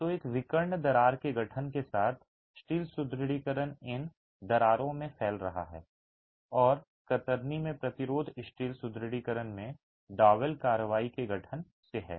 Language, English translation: Hindi, So, with the formation of a diagonal crack, the steel reinforcement is spanning across these cracks and the resistance in shear is by the formation of double action in the steel reinforcement